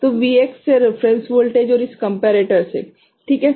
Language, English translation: Hindi, So, from Vx to reference voltage and from this comparator ok